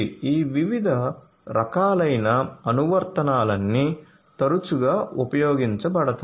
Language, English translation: Telugu, So, all of these different types of applications are often used